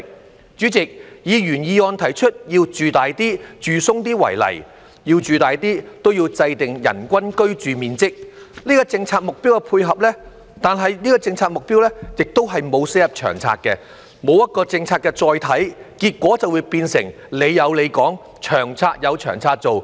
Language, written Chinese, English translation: Cantonese, 代理主席，以原議案提出要"住大啲、住鬆啲"為例，要"住大啲"便要制訂人均居住面積這個政策目標的配合，但這個政策目標並沒有寫入《長策》，沒有一個政策的"載體"，結果便變成"你有你講"，《長策》有《長策》做。, Deputy President take the proposal made in the original motion of provid[ing] Hong Kong people with a more spacious living environment as an example . To provide a more spacious living environment it is necessary to set a policy target for the average living space per person in order to complement the policy . But this target is not written in LTHS and without a carrier for the policy the result is that LTHS will pay no heed to the policies proposed but perform its role separately